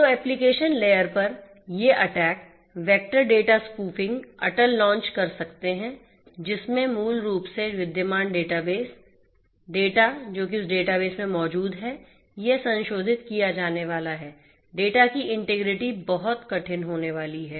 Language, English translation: Hindi, So, at the application layer, these attack vectors could be launching data spoofing attack; where, wherein basically the existing database the data that is resident in the database they are going to be modified, the integrity of the data is going to be is going to be hard and so on